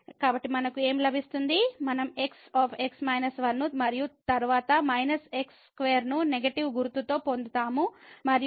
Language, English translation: Telugu, So, what we will get; we will get into minus 1 and then minus square here with the negative sign and then this will become 2 minus 1